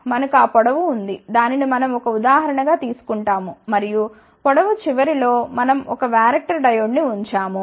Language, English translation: Telugu, We have that length, which we are taken an example and at the end of the length we have put a Varactor Diode